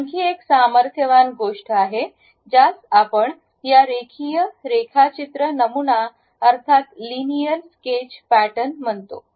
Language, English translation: Marathi, There is one more powerful thing which we call this Linear Sketch Pattern